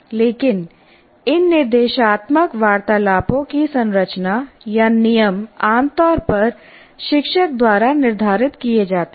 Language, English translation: Hindi, But the structure are the rules of these instructional conversations are generally determined by the teacher